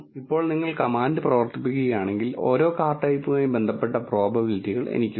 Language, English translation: Malayalam, Now, if you run the command I have the probabilities associated with each car type